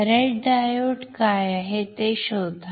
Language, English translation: Marathi, What is the red diode find it out